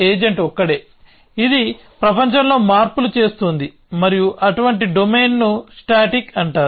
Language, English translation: Telugu, Agent is the only one, which is making changes in the world and such a domain is called static